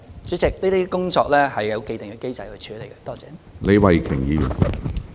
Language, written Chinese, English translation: Cantonese, 主席，這些工作已有既定機制處理。, President there are established mechanisms to handle such work